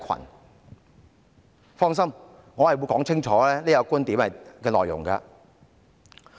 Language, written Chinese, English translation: Cantonese, 主席，請放心，我會清楚說明這個觀點的內容。, Chairman no worries . I will clearly expound on this point